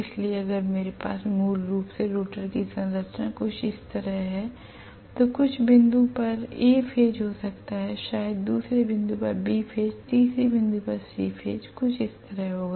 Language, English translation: Hindi, So if I have basically the rotor structure somewhat like this I am going to have may be A phase at some point, maybe B phase at another point and C phase at the third point something like this